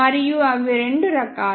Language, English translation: Telugu, And they are of two types